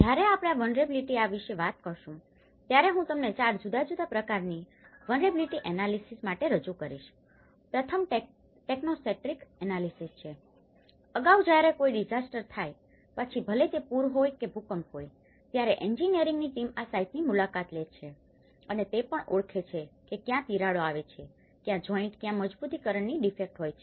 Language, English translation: Gujarati, When we talk about vulnerability there are, I will introduce you to four different types of vulnerability analysis, the first one is techno centric analysis Earlier, when a disaster happens whether it is a flood or earthquake, the engineer’s team use to visit these site and they also identify where the cracks coming where the joints where the reinforcement defects